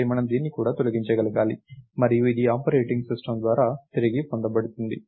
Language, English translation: Telugu, So, we need to be able to delete this also and this will be reclaimed by the operating system